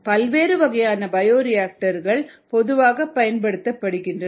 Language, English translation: Tamil, different types of bioreactors are commonly used